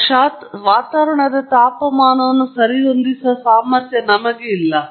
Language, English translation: Kannada, Unfortunately, I am not able to, I don’t have the ability to adjust the atmospheric temperature